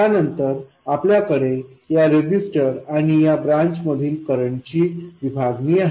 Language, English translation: Marathi, Then you have this current division between this resistor and this branch